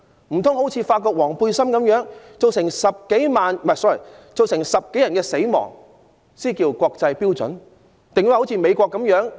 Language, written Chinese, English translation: Cantonese, 難道好像法國黃背心運動般造成10多人死亡，才算得上符合國際標準嗎？, While over 10 people were killed in the yellow vest movement in France should Hong Kong follow suit in order to comply with the international standard?